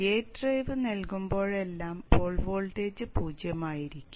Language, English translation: Malayalam, So whenever the gate drive is given, the pole voltage will be zero